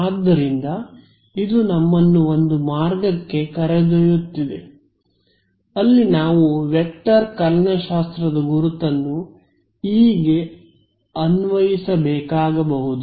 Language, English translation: Kannada, So, this is taking us to one route where possibly we will have to apply the vector calculus identity to E itself